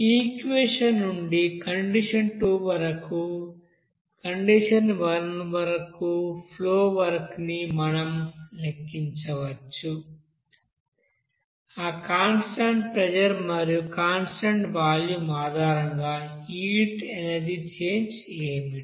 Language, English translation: Telugu, So from this equation, we can calculate from the flow work at condition two to condition one what should the change of you know heat energy based on that constant pressure and constant volume